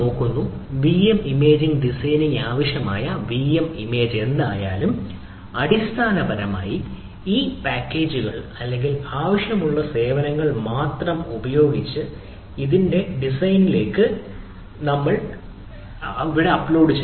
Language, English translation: Malayalam, other is that vm management, which is vm image designing, right, when, whatever the vm image having, whether we can have a efficient design of this ah vm image with um, with the, basically only those packages or the those ah services which are required are uploaded at there